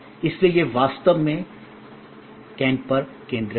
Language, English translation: Hindi, So, that is actually focused on can